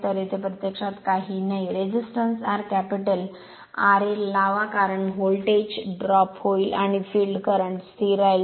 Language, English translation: Marathi, So, nothing is there actually, you put a resistance R capital R and this because of that there will be voltage drop and field current remain constant